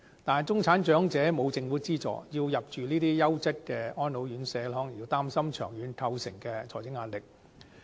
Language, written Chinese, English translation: Cantonese, 但是，中產長者沒有政府資助，要入住這些優質的安老院舍，可能會擔心長遠構成的財政壓力。, However without any Government subsidy middle - class elderly in Hong Kong may feel worried about the long - term financial pressure of living in the quality Mainland RCHEs